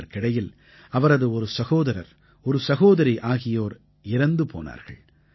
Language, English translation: Tamil, Meanwhile, one of his brothers and a sister also died